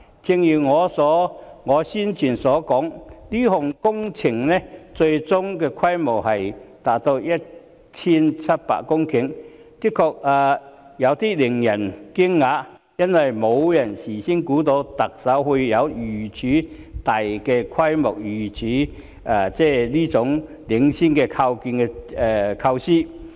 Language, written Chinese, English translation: Cantonese, 正如我先前所說，這項工程最終的規模達到 1,700 公頃，的確令人有點驚訝，因為事前沒有人想到特首會有如此大規模、如此領先的構思。, As I said earlier this project will ultimately cover 1 700 hectares in scale . This is indeed a bit shocking because no one would have expected that the Chief Executive would come up with this huge pioneering idea